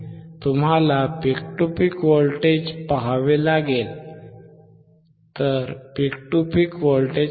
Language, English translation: Marathi, You have to see the peak to peak voltage, look at the peak to peak voltage